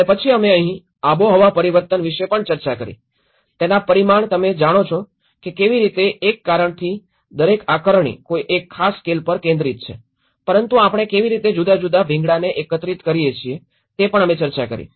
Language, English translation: Gujarati, And then here we also discussed about the climate change, the scale of it you know how one because each assessment is focused on a particular scale but how we have to integrate different scales is also we did discussed